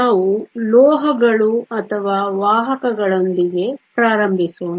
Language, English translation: Kannada, Let us start with metals or conductors